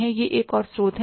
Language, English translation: Hindi, So this is another source